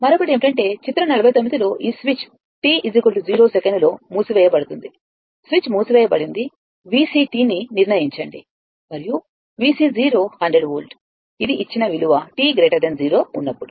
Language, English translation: Telugu, The another one is that with figure 49, this switch is closes at t is equal to 0 second this is the switch closed at determine V C t and i t for t greater than 0 given that V C 0 is 100 volt